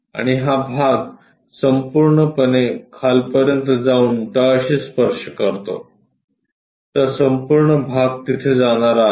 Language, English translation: Marathi, And this part entirely goes all the way bottom touch that, so that entire part goes all the way touch there